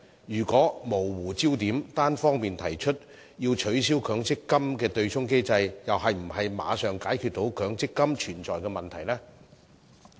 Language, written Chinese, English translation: Cantonese, 如果模糊焦點，單方面提出取消強積金的對沖機制，又是否能馬上解決強積金的問題呢？, Can blurring the focus by unilaterally proposing abolishing the MPF offsetting mechanism resolve the problem with the MPF scheme immediately?